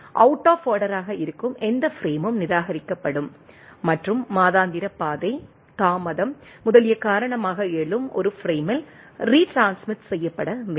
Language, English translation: Tamil, Any frame arising out of order is discarded and need to be retransmitted right in a frame arising due to say, monthly path, delay, etcetera